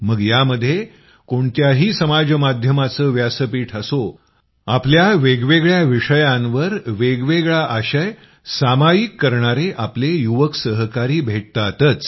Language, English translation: Marathi, No matter what social media platform it is, you will definitely find our young friends sharing varied content on different topics